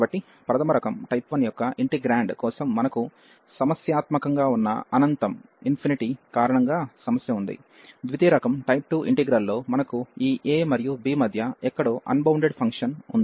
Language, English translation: Telugu, So, for integral of type 1 we have the problem because of the infinity where the integrand is bounded, in type 2 integral we have a unbounded function somewhere between this a and b